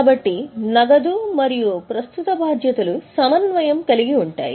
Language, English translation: Telugu, So, cash and current liabilities go together